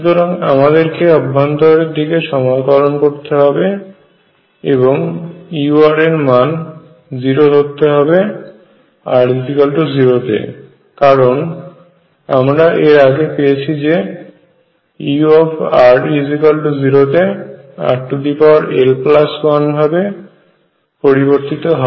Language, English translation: Bengali, So, you start integrating inward and you also take u r to be 0 at r equals 0 because recall that u near r equals 0 goes as r raise to l plus 1